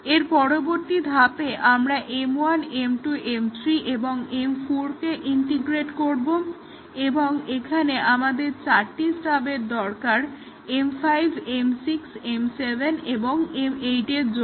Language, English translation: Bengali, In the next step, we integrate M 1, M 2, M 3 and M 4, and here we need four stubs, stubs for M 5, M 6, M 7 and M 8 and so on